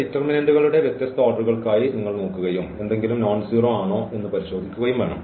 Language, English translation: Malayalam, Here you have to look for these different orders of determinants and check whether something is nonzero